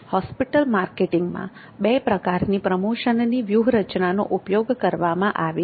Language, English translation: Gujarati, The promotion there are two types of promotion strategy used in hospital marketing